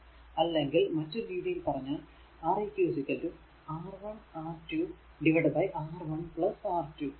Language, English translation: Malayalam, So, otherwise Req is equal to R 1 R 2 upon R 1 plus R 2